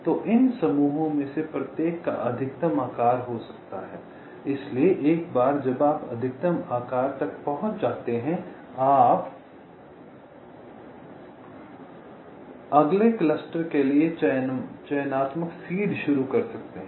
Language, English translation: Hindi, so once that maximum size is reached, you can start, and you can start the selective ah seed for the next cluster